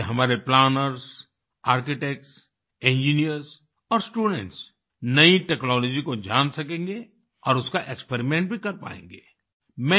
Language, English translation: Hindi, Through this our planners, Architects, Engineers and students will know of new technology and experiment with them too